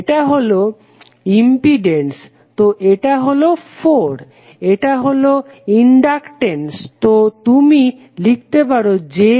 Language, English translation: Bengali, This is resistance, so this is 4, this is inductance so you can just simply write j3